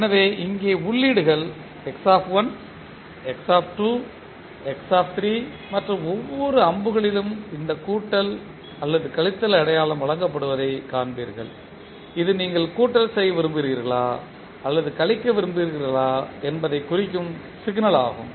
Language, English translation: Tamil, So here if you see the inputs are X1, X2 and X3 and in each and every arrow you will see this plus or minus sign is presented which indicates whether you want to summing up or you want to subtract the signal